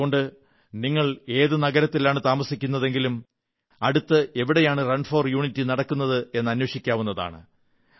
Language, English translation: Malayalam, And so, in whichever city you reside, you can find out about the 'Run for Unity' schedule